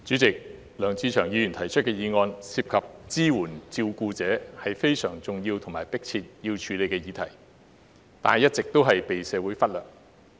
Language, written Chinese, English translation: Cantonese, 主席，梁志祥議員提出的議案涉及支援照顧者，是非常重要且有迫切需要處理的議題，但一直被社會忽略。, President the motion moved by Mr LEUNG Che - cheung is about support for carers . It is a very important issue that requires urgent action but has all along been overlooked by society